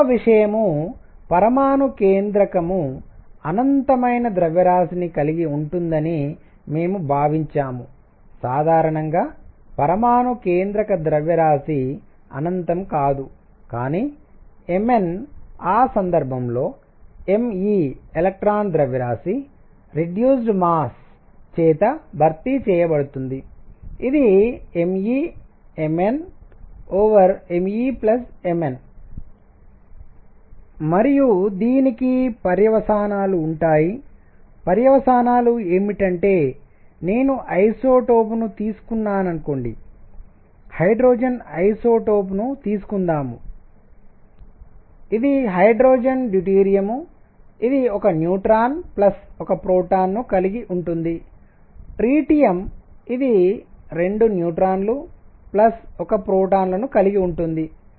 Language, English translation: Telugu, Point number two; we assumed nucleus to have infinite mass in general mass of nucleus is not infinite, but Mn in that case m e electron mass is replaced by the reduced mass which is m e M n divided by m e plus M n and this has consequences what are the consequences suppose I take isotope, let us say isotope of hydrogen which are hydrogen deuterium which has 1 neutron plus 1 proton tritium which has 2 neutrons plus 1 protons